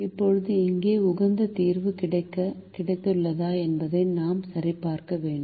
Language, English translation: Tamil, now we have to check whether we have got the optimum solution here